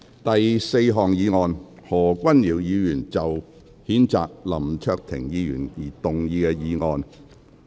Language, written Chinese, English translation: Cantonese, 第四項議案：何君堯議員就譴責林卓廷議員動議的議案。, Fourth motion Motion to be moved by Dr Hon Junius HO to censure Hon LAM Cheuk - ting